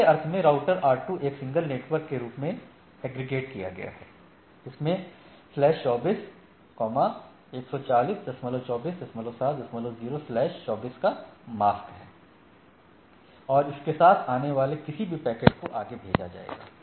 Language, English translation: Hindi, In other sense, for this rest of the word or these routers R2, this is aggregated as the as a single network as with a mask of slash 24, 140 24 7 dot 0 slash 24 and any packet coming with that it will be forwarded to this packet right